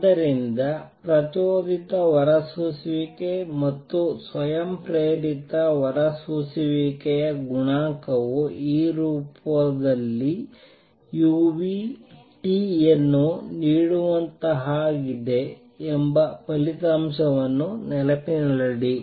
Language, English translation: Kannada, So, keep this result in mind that the coefficient for stimulated emission and spontaneous emission are as such that they give u nu T in this form